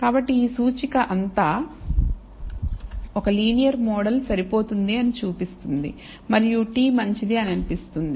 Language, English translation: Telugu, So, all of this indicator show seem to indicate show that a linear model is adequate and the t seems to be good